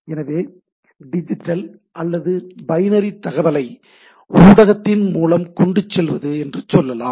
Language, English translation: Tamil, So, when I get say digital or binary data which is carried over the media